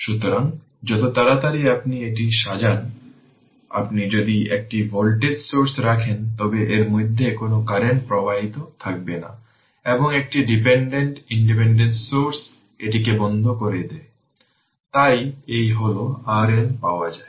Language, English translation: Bengali, So, this as soon as you sort it, there will be no current through this if if you put a voltage source, and dependent, independent source you put it turn it off right, so this is your how we get R Norton